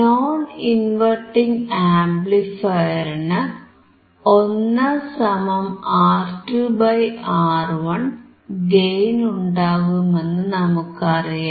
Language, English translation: Malayalam, Non inverting amplifier will have a gain of 1 + (R2 / R1), we know that